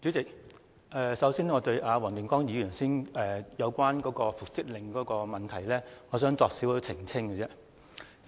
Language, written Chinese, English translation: Cantonese, 主席，首先，我對黃定光議員剛才所說有關復職令的問題作少許澄清。, Chairman before all else let me make a brief clarification concerning the question of the reinstatement order mentioned by Mr WONG Ting - kwong just now